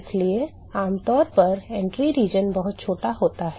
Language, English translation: Hindi, So, typically the entry region is very small